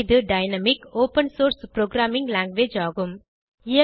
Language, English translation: Tamil, It is dynamic, open source programming language